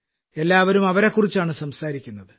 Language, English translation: Malayalam, Everyone is talking about them